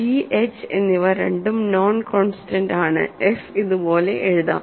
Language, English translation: Malayalam, So, both g and h are non constants and f can be written like this